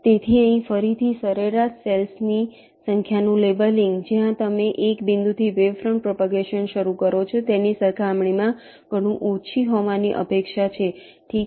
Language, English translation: Gujarati, so again here, the average number of cells you will be leveling will is expected to be matchless, as compared to the case where you start the wavefront propagation from one point